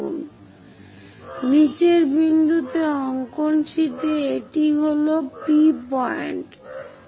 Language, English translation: Bengali, So, on the drawing sheet at the bottom point, this is the point P